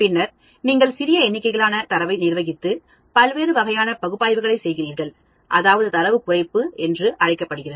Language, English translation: Tamil, And then you manage the smaller number of data and do different types of analysis, that is called Data Reduction